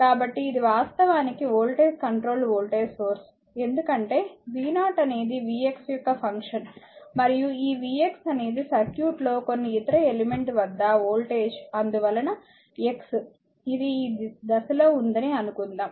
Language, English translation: Telugu, So, this is actually they voltage controlled voltage source, because v 0 is a function of v x and this v x is the voltage of the circuit act was some other element x right this why you imagine at the stage